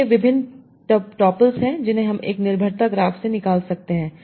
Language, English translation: Hindi, So these are the various tuples I can extract from my dependency graph